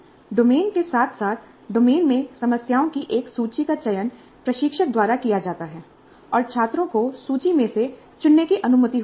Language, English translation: Hindi, The domain as well as a list of problems in the domain are selected by the instructor and students are allowed to choose from the list